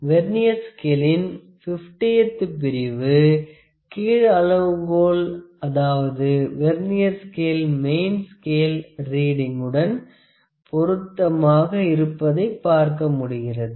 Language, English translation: Tamil, So, the 50th division of the Vernier scale, the lower scale that is a Vernier scale is matching with some reading on the main scale if you can see